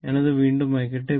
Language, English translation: Malayalam, So, let me delete it